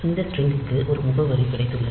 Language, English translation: Tamil, So, this string has got an address